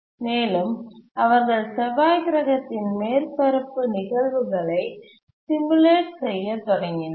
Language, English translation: Tamil, They started doing a simulation of what used to happen on the Mars surface